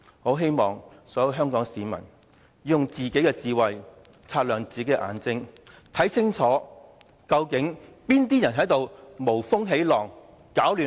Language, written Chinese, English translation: Cantonese, 我希望所有香港市民要以自己的智慧擦亮自己的眼睛，看清楚究竟是哪些人在無風起浪，攪亂香港，踐踏人權！, I hope every person in Hong Kong would use their own wisdom and keep their eyes open to discern who are stirring up troubles when there are none to screw up Hong Kong and trample on human rights!